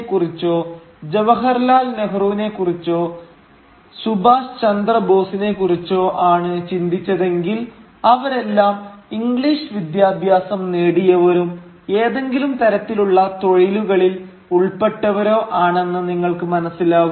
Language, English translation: Malayalam, Gandhi or Jawaharlal Nehru or Subhash Chandra Bose, you would notice that they were all English educated and were involved in one kind of profession or other